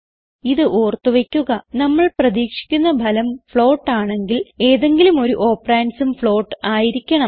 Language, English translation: Malayalam, Keep in mind that when the expected result is a float, one of the operands must be a float to get the expected output